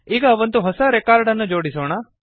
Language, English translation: Kannada, Now let us add a new record